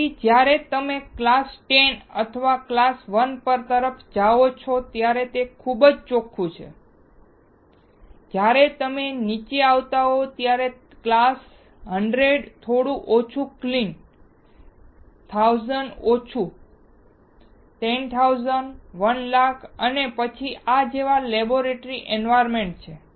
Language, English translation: Gujarati, So, when you go towards the class 10 or class 1 this is extremely clean, when you come down class 100 little bit less clean, 1000 little bit less, 10000, 100000 and then there is laboratory environment like this